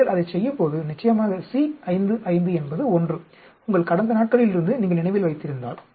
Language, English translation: Tamil, So, when you do that; of course, C 5 5 is 1, if you remember from your olden days